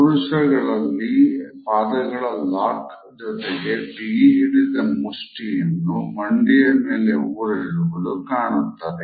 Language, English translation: Kannada, Amongst men we find that the ankle lock is often combined with clenched fists; which are resting on the knees